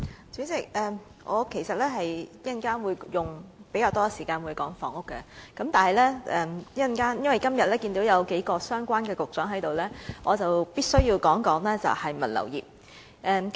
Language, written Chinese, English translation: Cantonese, 主席，我稍後會花較多時間討論房屋問題，但由於看到數名與物流業相關的局長今天也在席，所以我必須先就此方面發言。, President I will spend more time in the discussion on housing later but I will first talk about the logistics industry seeing that the Directors of Bureaux responsible for this area are present today